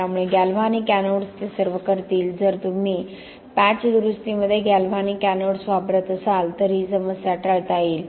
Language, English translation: Marathi, So all that galvanic anodes will do, if you use galvanic anodes within the patch repair is prevent that problem